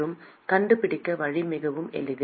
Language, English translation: Tamil, And the way to find out is very simple